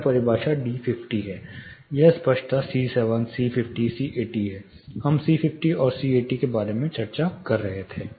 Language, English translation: Hindi, This is definition d 50, this is clarity 7 c 7 c 50 c 80, we were discussing about c 50 and c 80